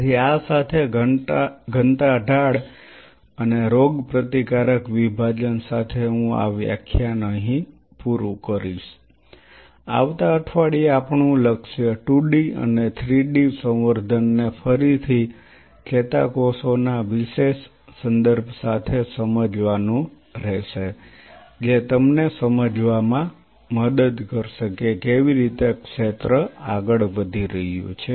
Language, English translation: Gujarati, So, with this I will closing this lecture with the density gradient and immuno separation next week our goal will be to understand the 2 D and the 3 D cultures again with a special reference to neurons which will kind of help you to appreciate how the whole field is moving